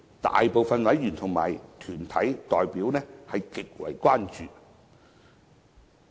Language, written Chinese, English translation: Cantonese, 大部分委員和團體代表對此極為關注。, Most members and deputations are gravely concerned about this arrangement